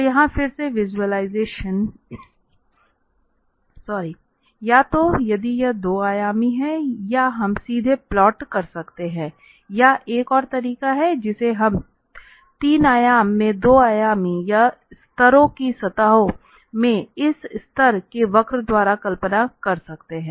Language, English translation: Hindi, So, again here the visualization either if it is 2 dimensional we can just directly plot or there is another way which we can visualize by this level curves in 2 dimensional or levels surfaces in the 3 dimensional